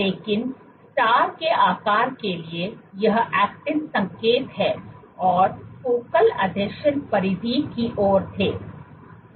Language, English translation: Hindi, This is the actin signal and the focal adhesions were towards the periphery